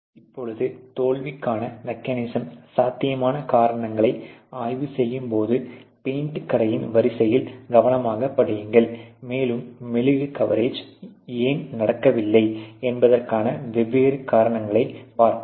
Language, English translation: Tamil, Now when you are doing this you know the potential causes of the mechanism of the failure you closely study on the paint shop line, and see what are the different responsible reasons for why this wax coverage may not happen